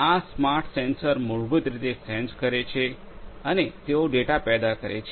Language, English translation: Gujarati, These smart sensors basically sense and they are going to generate the data